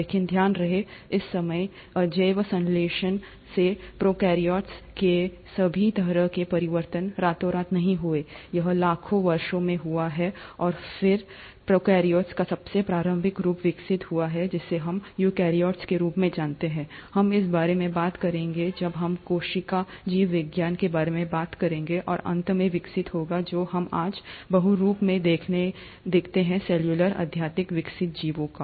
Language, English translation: Hindi, But mind you, this time scale of change from abiotic synthesis all the way to prokaryotes has not happened overnight, it has happened over millions of years, and then, the earliest form of prokaryotes would have evolved into what we know as eukaryotes, we’ll talk about this when we talk about the cell biology, and would have finally evolved into what we see today as multi cellular highly evolved organisms